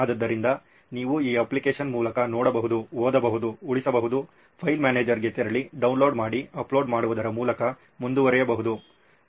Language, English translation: Kannada, So you can just run through this application, see, read, save, move to file manager, download, upload etc, so just run through it